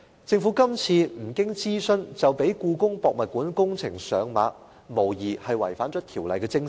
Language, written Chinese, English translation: Cantonese, 政府今次不經諮詢，便讓故宮館工程上馬，無疑是違反了《條例》的精神。, However the Government had not conducted a consultation before implementing the HKPM project an obvious violation of the spirit of the Ordinance